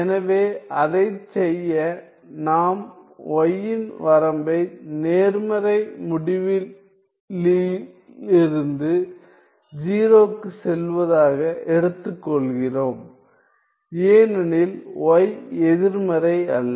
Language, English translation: Tamil, So, to do that we take the limit y tending to 0 from the positive end because y is non negative